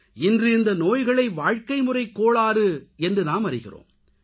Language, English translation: Tamil, Today these diseases are known as 'lifestyle disorders